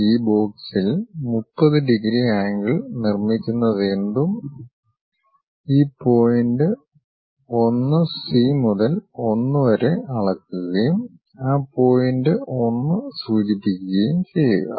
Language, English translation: Malayalam, On this box, the 30 degrees angle whatever it is making, measure this point 1 C to 1 and locate that point 1